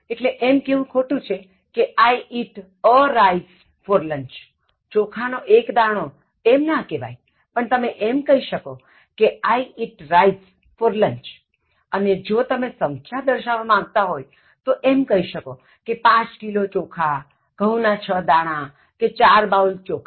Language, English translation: Gujarati, So, it is wrong to say, I eat a rice for lunch, but it’s right if you say, I eat rice for lunch and if you want to indicate quantity, so then you can say ‘5 kilograms of rice’, ‘6 grains of wheat’, ‘4 bowls of rice’